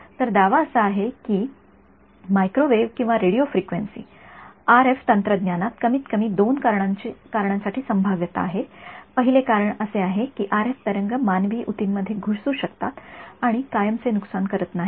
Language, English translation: Marathi, So, the claim is that microwave or Radio Frequency: RF technology it has the potential for at least these two reasons; the first reason is that RF waves can penetrate human tissues and not cause permanent damage